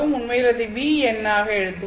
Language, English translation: Tamil, But go back to the expression for the V number